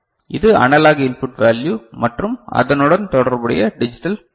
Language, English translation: Tamil, So, this is the analog input value, and the corresponding digital code right